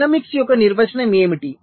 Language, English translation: Telugu, what is the definition of dynamics